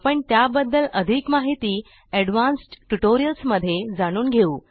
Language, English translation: Marathi, We will learn more about them in more advanced tutorials